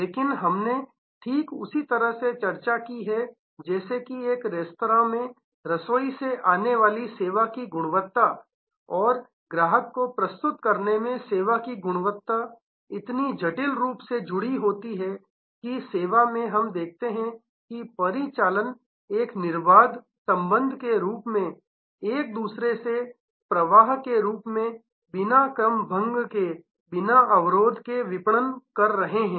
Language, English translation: Hindi, But, we have discussed the just as in a restaurant the quality of the service coming in from the kitchen and quality of the service in presenting that to the customer are so intricately linked, that in service we see operations are marketing as a seamless connection, as a flow from one to the other without having silos, without having barriers